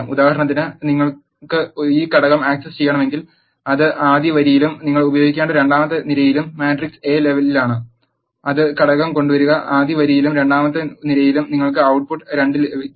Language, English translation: Malayalam, For example if you want to access this element it is in the first row and the second column the command you need to use is in the matrix A fetch the element which is in the first row and in the second column that will give you the output 2